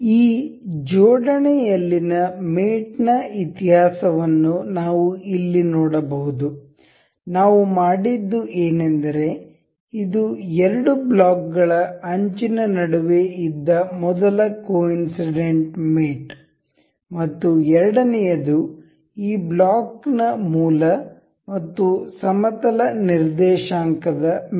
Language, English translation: Kannada, The mate history in this assembly we can see here mates, what we have done is this the first coincidental mate that was between the edge of the two blocks and the second one thus mating of the origin of this block and the plane coordinate